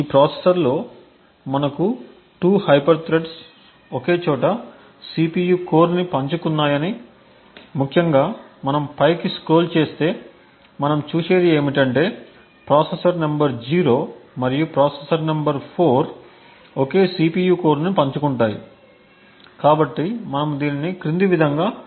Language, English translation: Telugu, The next thing we also mention that in this processor we had 2 hyper threads sharing the same CPU core particularly what we see if we scroll up is that the processor number 0 and the processor number 4 share the same CPU core, so we can verify this as follows